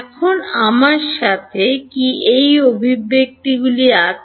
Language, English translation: Bengali, Now, do I have these expressions with me